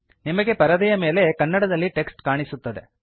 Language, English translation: Kannada, You will see the Kannada text being displayed on the screen